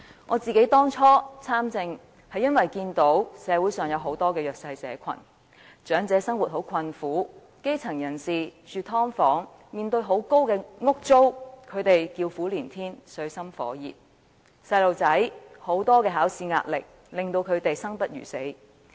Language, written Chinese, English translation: Cantonese, 我當初參政，是因為看到社會上有很多弱勢社群：長者生活困苦；基層人士除了要住"劏房"，還要面對高昂的租金，實在水深火熱，叫苦連天；學童要面對很多考試壓力，令他們生不如死。, My decision to participate in politics is driven by the conditions of many disadvantaged groups in society elderly people are living in poverty; the grass roots have to pay exorbitant rents for living in subdivided units with miserable conditions and they are in dire straits; and school children have a difficult life facing the tremendous examination pressure